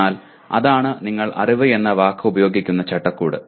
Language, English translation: Malayalam, But that is the framework in which you are using the word knowledge